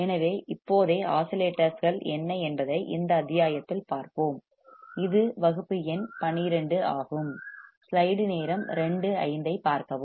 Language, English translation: Tamil, So, right now the modules we will see what the oscillators are, this is class number 12